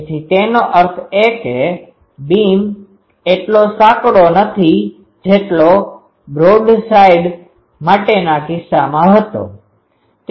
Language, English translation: Gujarati, So that means, the beam is not as narrow as the case was for broadside